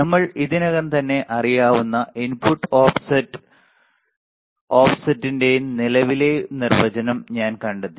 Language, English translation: Malayalam, I find that input offset current definition which we already know right